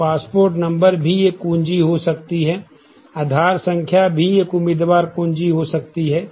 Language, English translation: Hindi, So, passport number could also be a key, could be a candidate key